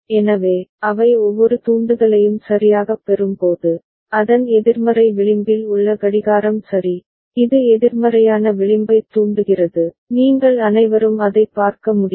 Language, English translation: Tamil, So, each of the flip flop when they get the trigger ok, the clock at the negative edge of it ok, this is negative edge triggered all of you can see that